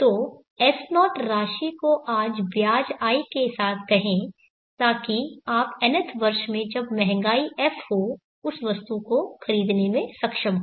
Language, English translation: Hindi, So say S0 amount today with interest I, so that you will be able to purchase the item in the nth year having inflation S